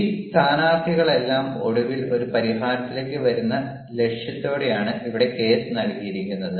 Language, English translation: Malayalam, and here the case is given with the aim that all these participants finally will come to a solution